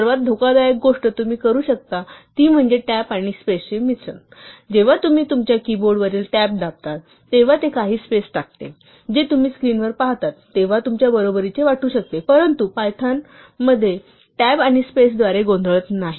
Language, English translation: Marathi, The most dangerous thing you can do is to use a mixture of tabs and spaces, when you press the tab on your keyboard it inserts some number of spaces which might look equal to you when you see it on the screen, but Python does not confuse tabs and spaces